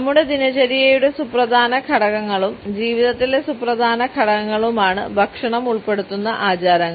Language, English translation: Malayalam, Rituals which involve food are very important aspects of our routine and significant steps in our life